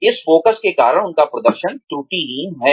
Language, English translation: Hindi, Because of this focus, their performance is impeccable